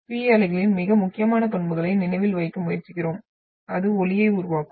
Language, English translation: Tamil, And also we try to remember the most important characteristics of the P wave is not it will produce sound